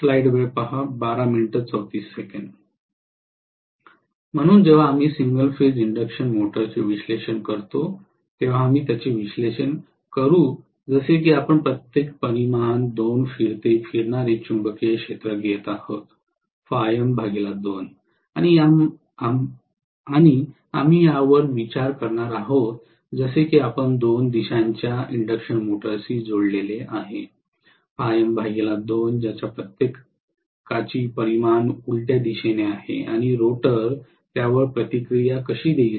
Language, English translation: Marathi, So when we analyze the single phase induction motor, we will analyze it as though we take two revolving magnetic field each of phi M by 2 magnitude and we are going to consider this as though we have connected two three phase induction motors each having phi M by 2 magnitude in the opposite direction and how the rotor will react to that